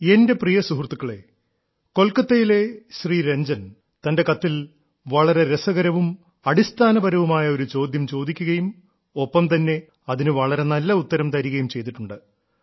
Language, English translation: Malayalam, Ranjan ji from Kolkata, in his letter, has raised a very interesting and fundamental question and along with that, has tried to answer it in the best way